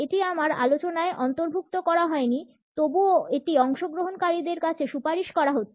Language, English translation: Bengali, It is not been included in my discussion, nonetheless it is recommended to the participants